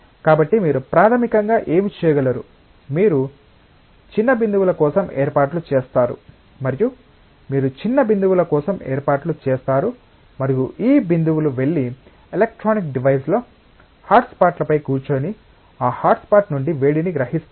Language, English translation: Telugu, So, what you can do basically you take small droplets, you arrange for small droplets and these droplets will go and sit on hotspots on the electronic device and absorb heat from that hotspot